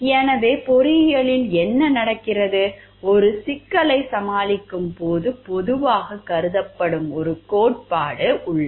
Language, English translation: Tamil, So, in engineering what happens there is generally one theory that is considered when tackling a problem